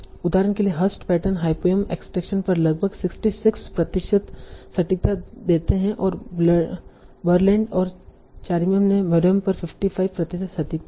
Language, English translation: Hindi, So for example, Hersch patterns gave roughly 66% accuracy on hyperneed direction and Berlin and Cheneac gave 55% accuracy on maronyms